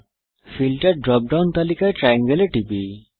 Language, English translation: Bengali, In the Filter drop down list, click the triangle